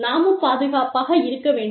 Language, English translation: Tamil, And, we need to be safe